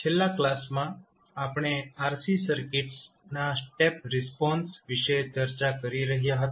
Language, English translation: Gujarati, In last class we were discussing about the step response of RC circuits